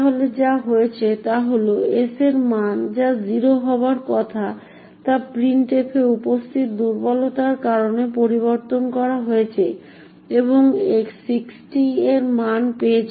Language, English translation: Bengali, So what has happened is that the value of s or which is supposed to be 0 has been modified due to the vulnerability present in printf and has obtained a value of 60